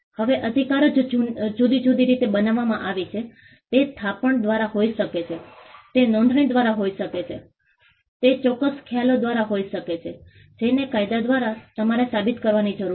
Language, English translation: Gujarati, Now, the right itself is created in different ways it could be by deposit, it could be by registration, it could be by certain concepts which the law requires you to prove